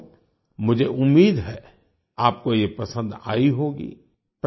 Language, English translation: Hindi, Friends, I hope you have liked them